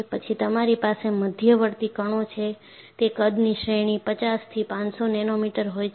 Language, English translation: Gujarati, Then you have intermediate particles, the size range is 50 to 500 nanometers